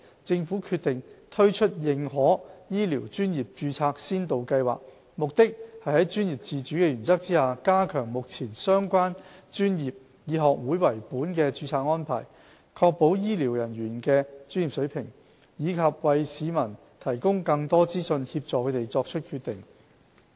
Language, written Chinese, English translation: Cantonese, 政府決定推出認可醫療專業註冊先導計劃，目的是在專業自主的原則下，加強目前相關專業以學會為本的註冊安排，確保醫療人員的專業水平，以及為市民提供更多資訊，協助他們作出決定。, The Scheme aims to enhance the current society - based registration arrangements under the principle of professional autonomy with a view to ensuring the professional competency of health care personnel and providing more information for the public to make informed decisions